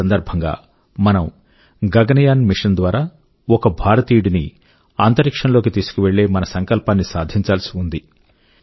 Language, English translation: Telugu, And on that occasion, we have to fulfil the pledge to take an Indian into space through the Gaganyaan mission